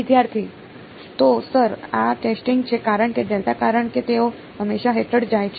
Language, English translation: Gujarati, So, sir these are testing because delta because they always to go under